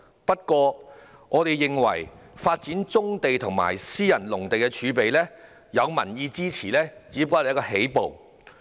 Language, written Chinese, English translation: Cantonese, 不過，我們認為，發展棕地及私人農地儲備，有民意支持只是起步。, Nevertheless in our view public support for the development of brownfield sites and private agricultural land reserve is only a starting point